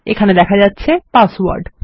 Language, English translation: Bengali, And its called password